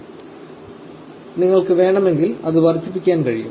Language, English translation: Malayalam, Of course, you can increase it if you want